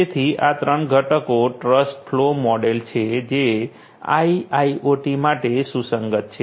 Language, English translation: Gujarati, So, its a 3 component trust flow model that is relevant for IIoT